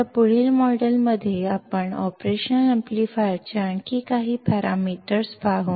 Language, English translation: Marathi, Now, in the next module we will see few more parameters of the operational amplifier